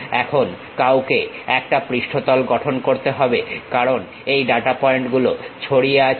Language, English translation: Bengali, Now, one has to construct a surface, because these data points are scattered